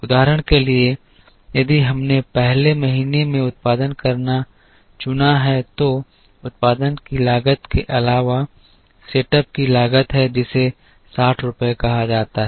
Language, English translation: Hindi, For example, if we chose to produce in the first month then in addition to the cost of production there is a cost of setup which is say rupees 60